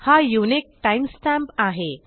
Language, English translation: Marathi, Now this is the unique time stamp